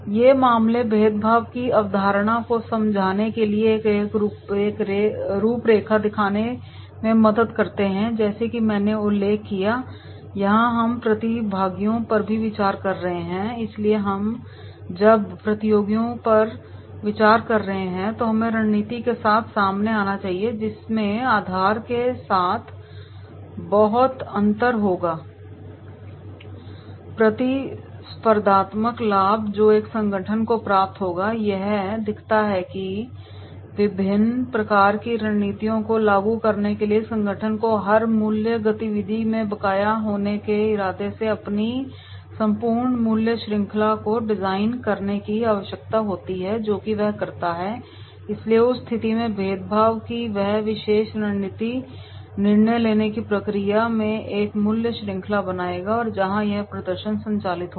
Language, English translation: Hindi, These cases helps develop a framework for understanding the concept of differentiation, as I mention that is the here we are considering the competitors also, so when we are considering the competitors also we should come out with the strategy which will be much differentiate along the basis of the competitive advantage which an organization will gain, it illustrates how an organization implementing a strategy of differentiation needs to design its entire value chain with the intent to be outstanding in every value activity that it performs and therefore in that case this particular strategy of differentiation will create a value chain in taking the decision making process and where this performance will be operated